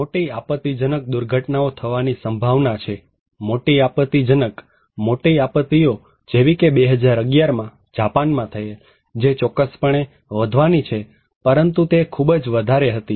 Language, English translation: Gujarati, Large catastrophic disaster is more likely to occur, large catastrophic disaster; big disasters like 2011 Japan one which surely is going to increase but that was very extreme